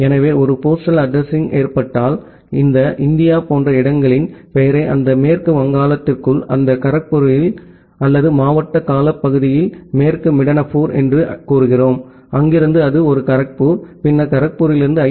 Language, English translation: Tamil, And so, in case of a postal addressing, we use this name of the locations like this India inside that West Bengal, inside that Kharagpur or in the district term say west Midnapore, from there it is a Kharagpur, then from Kharagpur to IIT Kharagpur and then finally, Sandip Chakraborty